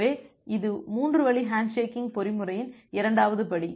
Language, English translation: Tamil, So, this is the second step of the 3 way handshaking mechanism